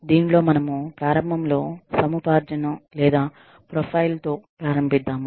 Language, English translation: Telugu, In this, we initially start with, the acquisition or profile